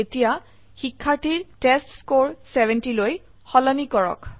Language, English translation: Assamese, Now, change the testScore of the student to 70